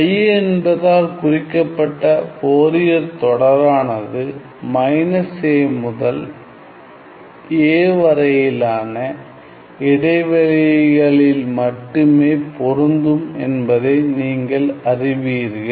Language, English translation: Tamil, So, I is going to denote my Fourier series of course, you see that Fourier series are only applicable over an interval from minus a to a